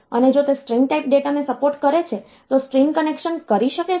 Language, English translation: Gujarati, So, does it support string type data and if it supports string type data can it do string concatenation